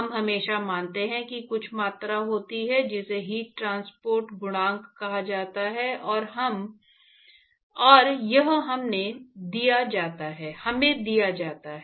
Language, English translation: Hindi, So far, we always assume there is some quantity called heat transport coefficient and it is given to us